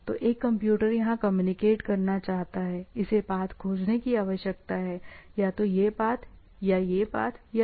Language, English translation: Hindi, So, one computer here wants to communicate to here, it needs to find the path; either this path or this path or this path